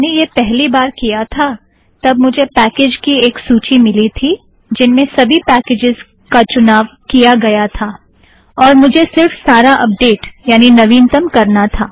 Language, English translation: Hindi, When I did first time, I found that all the packages had been listed, all the packages had been selected, then I just go and say update the whole thing